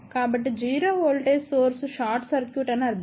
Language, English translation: Telugu, So, 0 voltage source would mean short circuit